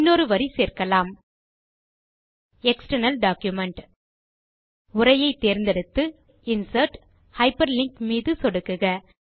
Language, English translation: Tamil, Now add another line item: External Document Select the line of text and click on Insert and then on Hyperlink